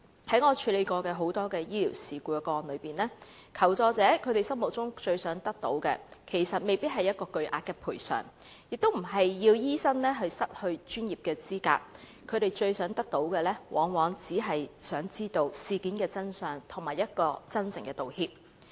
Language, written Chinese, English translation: Cantonese, 在我曾處理過的多宗醫療事故個案中，求助者心中最想得到的，其實未必是巨額賠償，亦不是要醫生失去專業資格，他們最想得到的，往往只是想知道事件的真相，以及一句真誠的道歉。, Of the numerous medical incidents handled by me before the people who sought my assistance did not necessarily demand significant compensation nor did they want the doctors concerned to be deprived of their professional qualifications . Usually what they wished was simply the truth and a sincere apology